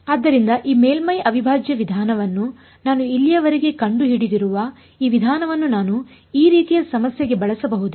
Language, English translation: Kannada, So, can I apply this approach that I have discovered so far this surface integral approach can I use it to this kind of a problem